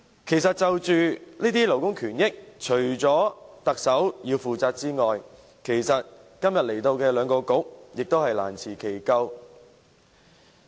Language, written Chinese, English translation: Cantonese, 關於這些勞工權益，除了特首要負責外，今天前來本會的兩個政策局亦難辭其咎。, With regard to these labour interests apart from the Chief Executive who should be held responsible the two Policy Bureaux which are represented in this Chamber today can hardly be absolved of the blame